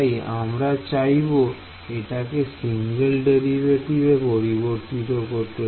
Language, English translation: Bengali, So, we would like to convert it into single derivatives right